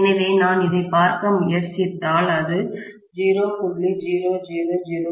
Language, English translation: Tamil, So, if I try to look at this, this is 0